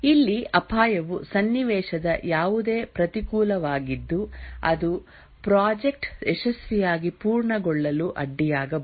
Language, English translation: Kannada, Here the risk is any adverse circumstance that might hamper the successful completion of the project